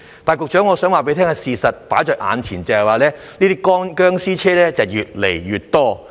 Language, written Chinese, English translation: Cantonese, 但是，局長，我想告訴你，放在眼前的事實是這些"殭屍車"越來越多。, However Secretary I would like to tell you that the fact laid before us is that there are more and more zombie vehicles